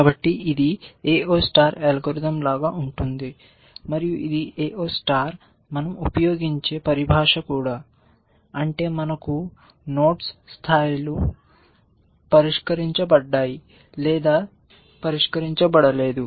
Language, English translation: Telugu, So, it is very much like the A star, AO star algorithm and this is the terminology we use in the AO star also that is we had nodes levels solved or not level solved